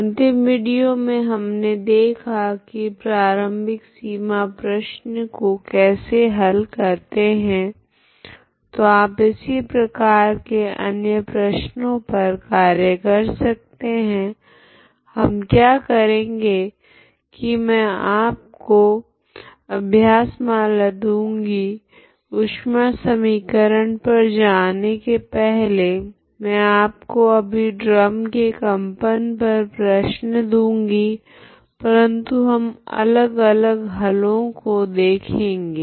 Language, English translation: Hindi, Last video we have seen how to solve that initial boundary problem, so you can also workout similar problem what we do is you I will just give as an exercise before I move on to the heat equation I will just give you as an exercise the same problem vibration of a drum problem but in a different solution we can look for